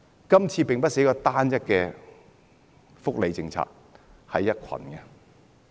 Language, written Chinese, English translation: Cantonese, 這次並非單一的福利政策，而是一堆。, Here we are not talking about just one single welfare policy but a whole raft of others